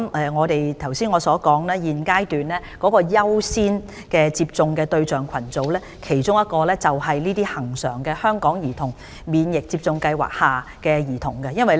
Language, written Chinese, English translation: Cantonese, 我剛才所指現階段優先接種疫苗的其中一個對象群組，就是恆常的香港兒童免疫接種計劃下的兒童。, Just now I mentioned that one of the priority target groups for measles vaccination are children under the routine HKCIP